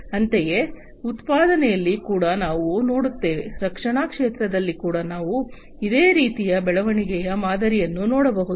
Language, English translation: Kannada, And likewise for manufacturing also we see, defense also we can see a similar kind of growth pattern and so on